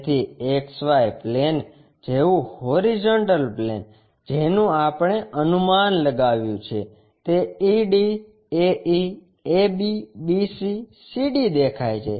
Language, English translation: Gujarati, So, X Y plane, horizontal plane like, what we have guessed ED, AE, AB, BC, CD are visible